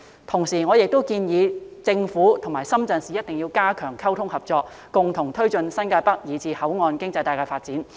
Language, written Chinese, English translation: Cantonese, 同時，我亦建議政府和深圳市一定要加強溝通和合作，共同推進新界北以至口岸經濟帶的發展。, At the same time I also suggest that the Government must strengthen communication and cooperation with the Shenzhen municipal authorities to jointly drive the development of New Territories North and the port economic belt